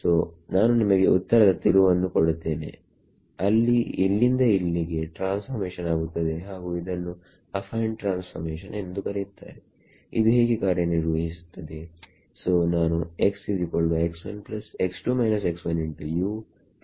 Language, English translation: Kannada, So, I will give you the answer turns out there is a transformation from here to here and it is called an Affine transformation